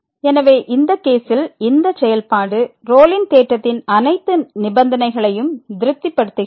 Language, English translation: Tamil, So, in this case this function satisfies all the conditions of the Rolle’s theorem